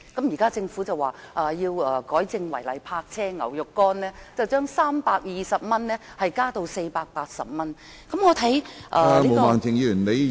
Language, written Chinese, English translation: Cantonese, 現時政府說要修改違例泊車罰款，由320元增加至480元。, The Government now says that the fixed penalty for illegal parking has to be amended from 320 to 480